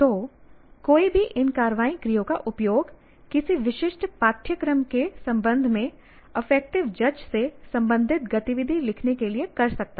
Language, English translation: Hindi, So one can use any of these action verbs to write to an activity related to affective judge with respect to a specific course